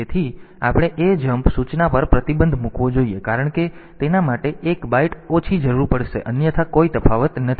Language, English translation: Gujarati, So, we should restrict us to ajmp instruction because that will require one byte less otherwise there is no difference